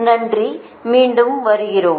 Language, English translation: Tamil, thank you again